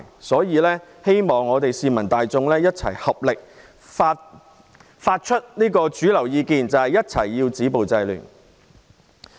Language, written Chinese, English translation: Cantonese, 所以，希望市民大眾一起表達主流意見，必須止暴制亂。, Therefore I hope that members of the public will express mainstream opinions together as we must stop violence and curb disorder